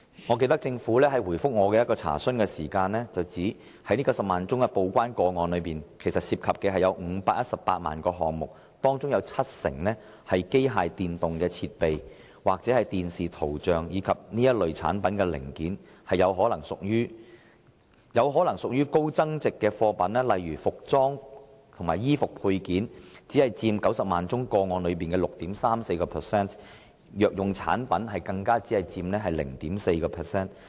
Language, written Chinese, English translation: Cantonese, 我記得政府在回覆我的一項查詢時表示，這90萬宗報關個案涉及518萬個項目，當中七成是機械電動設備或視像產品的零件，這些或許屬於高增值貨品；"服裝及衣服配件"，則只佔90萬宗個案裏的 6.34%；" 藥用產品"，更只佔 0.4% 而已。, I remember the Government said in its reply to my enquiry that of the 900 000 TDEC cases covering 5.18 million declaration items 70 % fall into the category of Machinery and Mechanical Appliances including electrical equipment which may be regarded as high value - added items; only 6.34 % of the 900 000 TDEC cases involve Articles of Apparel and Clothing Accessories; and pharmaceutical product only account for 0.4 %